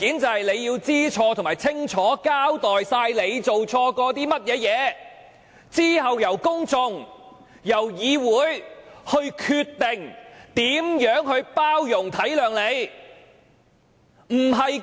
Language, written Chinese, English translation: Cantonese, 她要知錯並清楚交代自己做錯的一切，之後由公眾和議會決定如何包容、體諒她。, She ought to admit her mistakes and clearly account for all her wrongdoings and then it is up to the public and this Council to decide how to show tolerance and understanding towards her